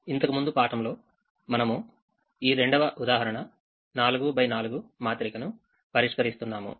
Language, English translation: Telugu, in the last class we were solving a second example and this four by four matrix is shown here